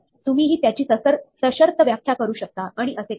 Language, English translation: Marathi, You can define it conditionally and so on